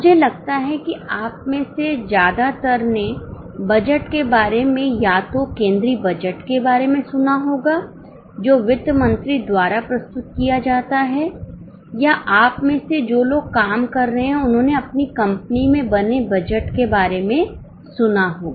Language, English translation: Hindi, I think most of you would have heard about budgets, either about the union budget which is presented by the finance minister or those who are working, you would have heard about budgets made in your own company